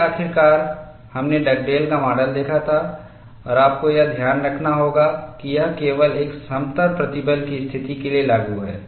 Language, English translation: Hindi, Then finally, we had seen the Dugdale’s model and we will have to keep in mind this is applicable only for a plane stress situation